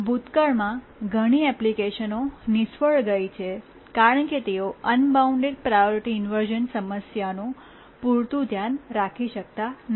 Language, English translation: Gujarati, Many applications in the past have failed because they could not take care of the unbounded priority inversion problem adequately